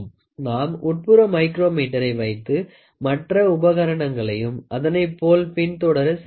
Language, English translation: Tamil, So, you can also have inside micrometer, rest all equipment follows the same